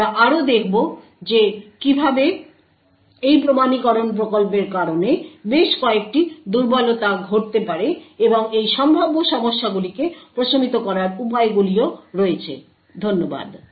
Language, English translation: Bengali, We will also see how there are several weaknesses which can occur due to this authentication scheme and also ways to actually mitigate these potential problems, thank you